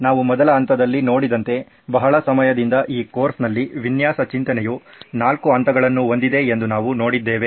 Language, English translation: Kannada, So as we saw in the very first stages have been for a long time now we have been seeing that design thinking in this course has four stages